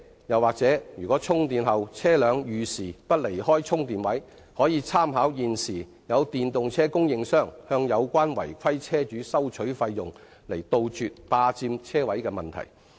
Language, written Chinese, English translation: Cantonese, 又如車輛充電後遲遲不離開充電位，可參考電動車供應商向有關違規車主收取費用的做法，以杜絕霸佔車位的問題。, And in case a vehicle does not leave the parking space long after charging the Government can consider the current practice of EV suppliers to impose fees and charges on non - compliant drivers so as to eradicate parking space squatting